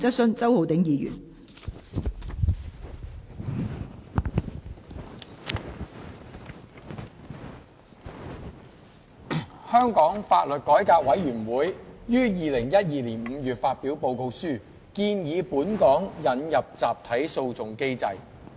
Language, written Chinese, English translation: Cantonese, 香港法律改革委員會於2012年5月發表報告書，建議本港引入集體訴訟機制。, The Law Reform Commission of Hong Kong LRC published a report in May 2012 proposing the introduction of a mechanism for class actions in Hong Kong